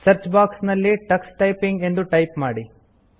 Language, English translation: Kannada, In the Search box, type Tux Typing